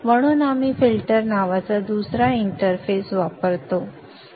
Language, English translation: Marathi, So we use another interface called the filter